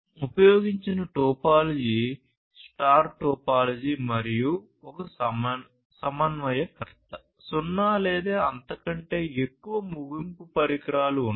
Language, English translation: Telugu, The topology that is used are star topology and in the star topology there is no router one coordinator and zero or more end devices